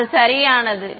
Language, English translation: Tamil, So, its correct